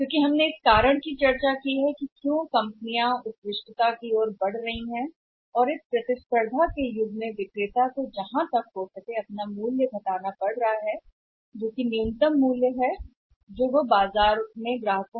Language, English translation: Hindi, Because we have discussed the reason that as companies are moving towards excellence and in the say era of the cut throat competition seller has to reduce the price to the say say maximum possible extent to bring down the price which is the minimum price they can charge from the customers in the market from the markets